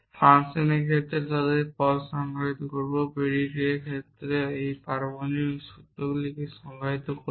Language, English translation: Bengali, In the case of functions, we will define them terms in the case of predicate we will define atomic formulas